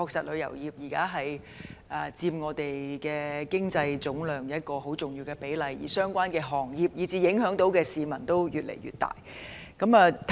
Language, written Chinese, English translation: Cantonese, 旅遊業現時在香港經濟總值中佔一個重要比例，相關行業及受影響的市民數字越來越多。, The travel industry currently accounts for a significant proportion of Hong Kongs GDP with more and more related industries and people getting involved